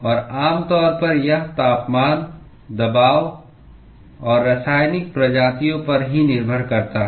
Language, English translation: Hindi, And typically it depends on temperature, pressure and the chemical species itself